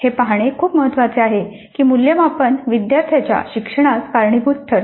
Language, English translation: Marathi, And it's very important to see that assessment drives student learning